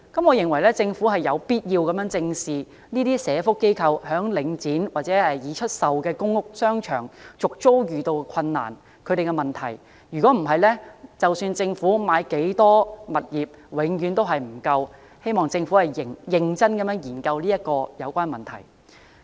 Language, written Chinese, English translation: Cantonese, 我認為政府有必要正視社福機構在領展或已出售的公屋商場續租遇到困難的問題，否則無論政府購置多少物業，永遠也不足夠，希望政府認真研究有關問題。, I think the Government must look squarely at the difficulties faced by social welfare organizations in negotiating for renewal of their tenancy in the shopping centres in public housing estates operated or sold by Link REIT . Otherwise no matter how many properties the Government purchases the needs will never be met . I hope that the Government will consider this problem very carefully